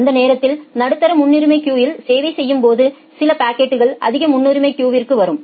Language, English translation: Tamil, When it is serving the medium priority queue by that time some packets come to the high priority queue